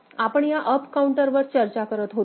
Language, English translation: Marathi, So, we had been discussing this up counter